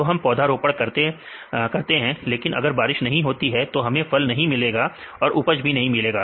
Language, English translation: Hindi, So, this will plants, but if we do not get rain; then we do not get the fruits; we do not get the yield